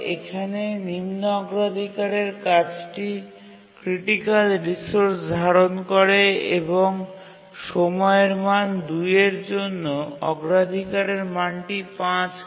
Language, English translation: Bengali, A low priority task is holding a critical resource and the priority value is 5